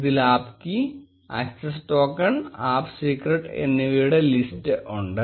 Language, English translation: Malayalam, It contains the same list of app key, app secret, access token and access secret